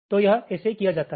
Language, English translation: Hindi, so this list is like this